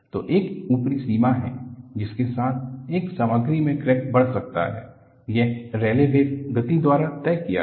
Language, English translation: Hindi, So, there is an upper limit with which a crack can grow in a material; that is, decided by the Rayleigh wave speed